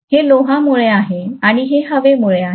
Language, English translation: Marathi, So this is due to iron and this is due to air, right